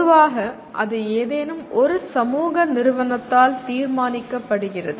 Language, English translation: Tamil, Generally that is decided by some agency of the society